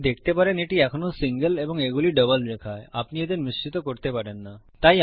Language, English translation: Bengali, You can see this is still a single line and these are double lines and you cant mix them up